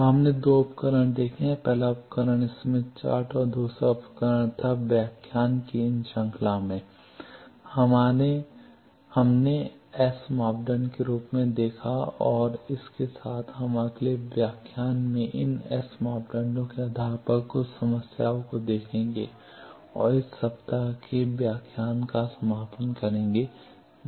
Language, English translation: Hindi, So, we have seen two tools; the first tool was Smith chart the second tool in these series of lecture, we saw as S parameter and with this, we will see in the next lecture some problems based on these S parameters and that will conclude the lecture of this week